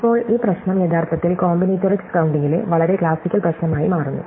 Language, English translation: Malayalam, Now, it turns out this problem is actually a very classical problem in combinatorics